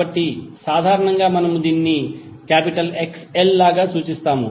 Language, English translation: Telugu, So in simple term we represent it like XL